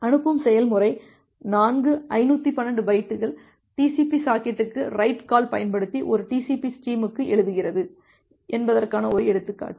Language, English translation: Tamil, One example that the sending process it does four 512 byte writes to a TCP stream using the write call to the TCP socket